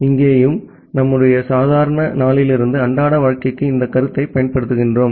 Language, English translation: Tamil, Here also we apply the concept from our normal day to day life